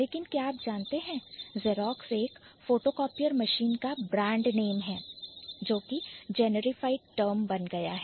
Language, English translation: Hindi, But do you know Xerox is the name of a photocopy or machine that became a generified term